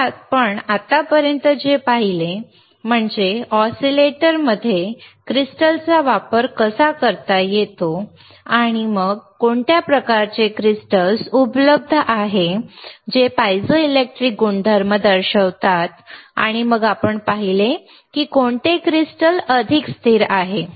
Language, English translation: Marathi, So, what we have seen until now is how the crystals can be used in oscillator, and then what kind of crystals are available which shows the piezoelectric properties, isn’t it shows the piezoelectric property and then we have seen that which crystal is more stable, which crystal is more stable and